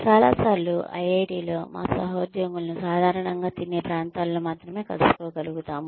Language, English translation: Telugu, Many times, in IIT, we are only able to meet our colleagues, in the common eating areas